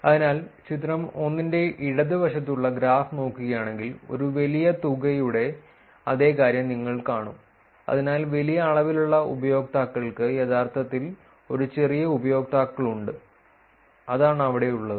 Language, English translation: Malayalam, So, if you look at the graph which is on the left for the figure 1, you will see the same thing which is large amount of, so large amount of users actually have small amount of users have so that is what this here